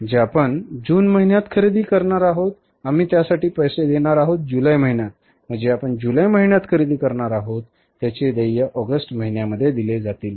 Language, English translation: Marathi, June we acquired the material, we are going to pay for that in the month of July and July we acquired the material we are going to pay for that in the month of August